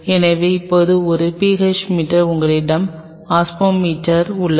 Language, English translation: Tamil, So, now, a PH meter you have an osmometer